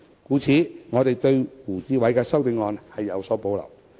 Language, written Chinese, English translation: Cantonese, 故此，我們對胡志偉議員的修正案有所保留。, Therefore we have reservations about Mr WU Chi - wais amendment